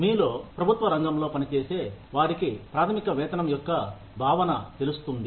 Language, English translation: Telugu, Those of you, who work in the government sector, will know, the concept of basic pay